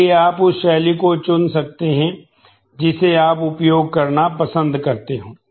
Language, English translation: Hindi, So, you can choose the style that you prefer to use